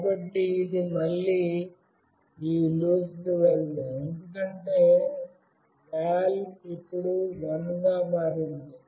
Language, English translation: Telugu, So, it will not go to this loop again, because “val” has now become 1